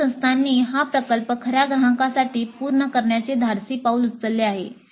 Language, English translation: Marathi, And in some institutes, they have taken the bold step of having this project done for a real client